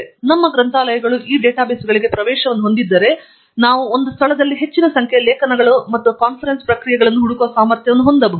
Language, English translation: Kannada, So, if our libraries have access to these databases, then we can have an ability to search a large number of articles and conference proceedings in one place